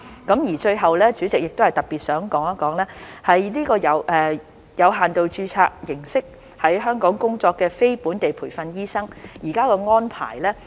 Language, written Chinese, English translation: Cantonese, 代理主席，最後亦想談談以有限度註冊形式在香港工作的非本地培訓醫生現時的安排。, Deputy Chairman lastly I would like to talk about the current arrangements for non - locally trained doctors working in Hong Kong under limited registration